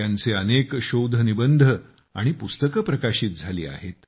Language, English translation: Marathi, He has published many research papers and books